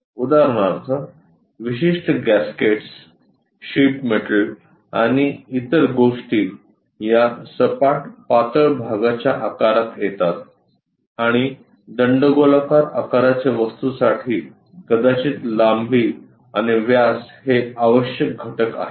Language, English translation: Marathi, For example, the typical gaskets, sheet metals and other things fall under this flat thin part shapes and also, cylindrical shaped objects perhaps length and diameter are the essential components